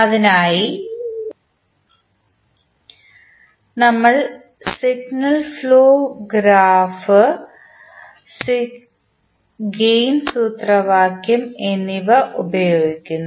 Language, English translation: Malayalam, And then we finally apply the signal flow graph gain formula to the state diagram